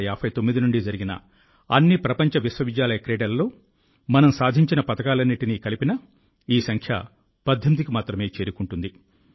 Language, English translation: Telugu, You will be pleased to know that even if we add all the medals won in all the World University Games that have been held since 1959, this number reaches only 18